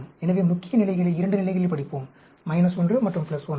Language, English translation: Tamil, So, we will study the main effects at 2 levels; minus 1 and plus 1